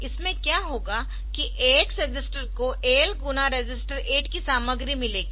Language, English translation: Hindi, So, what will happen is that AX register will get AL content of AL into register 8